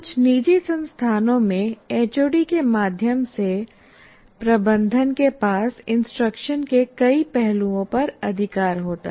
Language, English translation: Hindi, In some private institutions, it is a management through HOD has the power over many aspects of even instruction